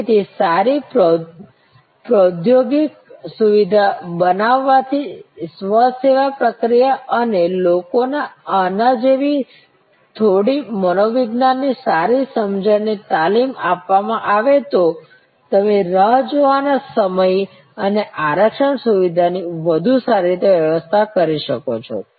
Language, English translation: Gujarati, So, creating good technological supports self service technologies and a training people good understanding of the few psychologies like this you can manage the waiting time and the reservation system much better